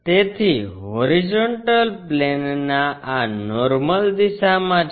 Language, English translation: Gujarati, So, horizontal plane is in this perpendicular direction